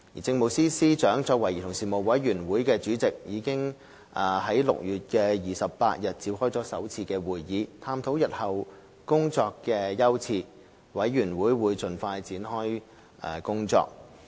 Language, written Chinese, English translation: Cantonese, 政務司司長作為委員會主席，已在6月28日召開首次會議，探討日後的工作優次，委員會將盡快展開工作。, Chaired by the Chief Secretary for Administration the Commission held its first meeting on 28 June examining its future priorities of work . The Commission will commence work as soon as practicable